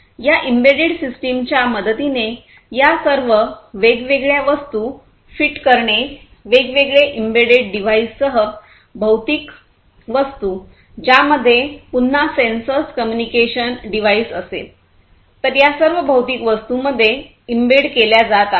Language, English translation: Marathi, By the help of these embedded systems, fitting all of these different objects, the physical objects with different embedded devices, which again will have sensors communication device, and so on; so all of these are going to be you know embedded into each of these physical objects